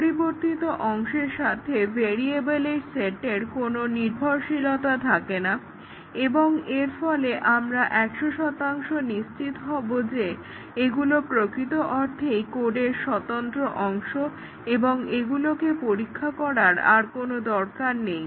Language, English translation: Bengali, There is a no sharing of variable, no dependency with the variables that are set in the changed part and therefore, we can be 100 percent sure that, these are truly independent part of the code with respect to the changed part and we need not test them